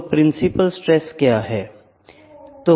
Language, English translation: Hindi, So, principal stresses